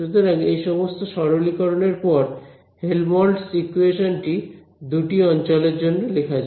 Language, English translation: Bengali, So, with these simplifications made in place let us write down the Helmholtz equations for both the regions ok